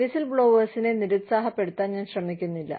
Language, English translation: Malayalam, I am not trying to discourage, whistle blowers